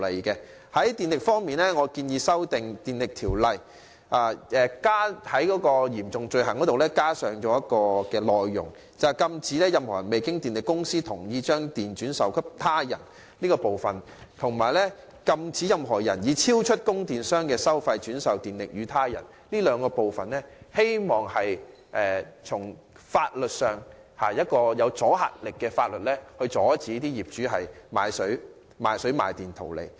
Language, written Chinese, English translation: Cantonese, 就電力方面，我建議修訂《電力條例》中有關嚴重罪行的條文，加入"禁止任何人未經電力公司同意將供電轉售他人"及"禁止任何人以超出供電商的收費轉售電力予他人"的內容，希望透過具阻嚇力的法例阻止業主賣水賣電圖利。, Regarding the supply of electricity I propose that the provisions of the Electricity Ordinance relating to serious criminal offences be amended by adding contents about prohibiting any person from selling to another person electricity obtained from the electricity supplier without the suppliers consent and selling to another person electricity obtained from the electricity supplier at a price exceeding the amount fixed by such supplier . By doing so it is hoped that those deterrent provisions will help prevent owners from selling water and electricity to make a profit